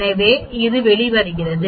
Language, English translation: Tamil, So this is varying